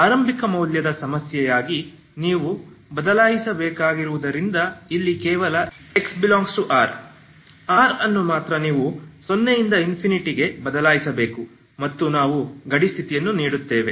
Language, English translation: Kannada, And as the initial value problem you have to change so only change here is x belongs to R, R you have to replace with 0 to infinity and we give the boundary condition, okay